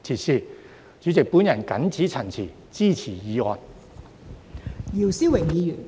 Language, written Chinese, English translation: Cantonese, 代理主席，我謹此陳辭，支持議案。, Deputy President with these remarks I support the motion